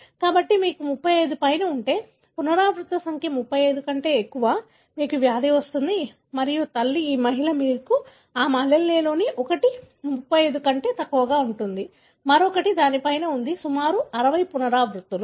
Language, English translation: Telugu, So, if you have above 35, the repeat number is more than 35, you are going to have the disease and the mother, this lady,you see that there is, one of her allele is below 35, the other one is above that is about 60 repeats